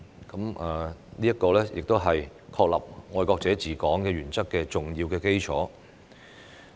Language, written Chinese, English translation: Cantonese, 這是確立"愛國者治港"原則的重要基礎。, This serves as an important basis for establishing the principle of patriots administering Hong Kong